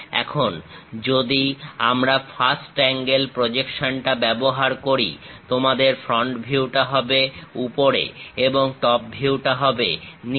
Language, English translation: Bengali, Now, if we are using first angle projection; your front view at top and top view at bottom